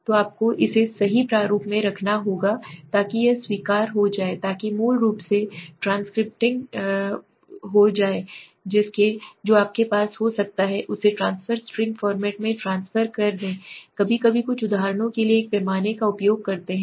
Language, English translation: Hindi, So you have to put it into format right so that it will acceptable so transcribing basically is transfer the data which you had may be in the form string format let us say you wrote the sometime some uses a scale for example never to always okay let us say never to always okay